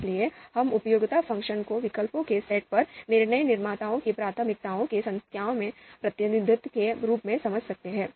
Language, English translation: Hindi, So we can understand the utility function as a numerical representation of the DM’s preferences on the set of alternatives